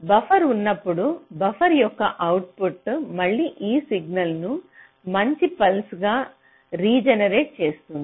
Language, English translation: Telugu, so instead of a neat pulse, so when i have a buffer, the output of a buffer i will again regenerate this signal into a nice pulse